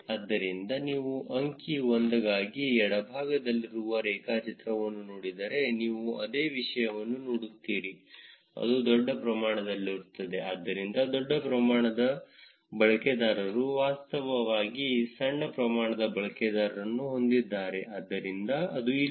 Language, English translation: Kannada, So, if you look at the graph which is on the left for the figure 1, you will see the same thing which is large amount of, so large amount of users actually have small amount of users have so that is what this here